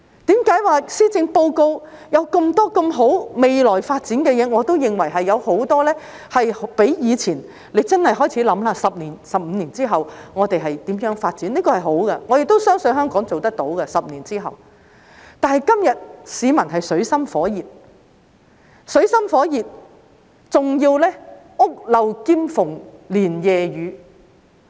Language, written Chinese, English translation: Cantonese, 為何說施政報告有那麼多美好的、未來發展的事情，我都認為較以前......大家真的要開始思考 ，10 年、15年之後，我們會如何發展，這是好的，我也相信香港10年之後做得到，但是，今天市民水深火熱，還要屋漏兼逢連夜雨。, Why do I hold the view that compared with the past so many good things offered by the Policy Address for the future development We have to really start thinking about how we should develop in 10 or 15 years time which is a good thing and I believe Hong Kong will be able to make achievement in 10 years time but today the general public are in dire straits and even faced with a one - two punch